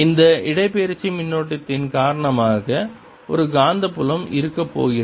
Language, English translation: Tamil, because of this displacement current there's going to be field